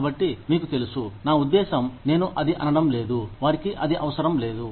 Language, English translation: Telugu, So, you know, I mean, I am not saying that, they do not need it